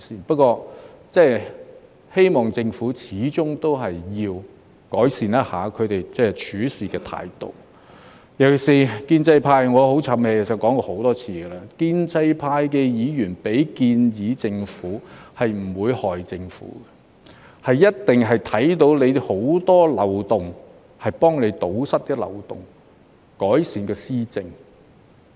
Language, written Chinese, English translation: Cantonese, 不過，我希望政府始終要改善一下處事態度，尤其是......建制派——我很"譖氣"，其實我已說過很多次——建制派的議員向政府提出建議，不會害政府，一定是因為看到很多漏洞，想幫政府堵塞漏洞，改善施政。, That said I hope that the Government will improve its attitude especially The pro - establishment camp―I am being pretty repetitive and honestly I have mentioned it many times―Members of the pro - establishment camp will never do the Government a disservice and their very intention of making proposals to the Government is to plug the many loopholes which they noticed so as to help the Government to improve its policy implementation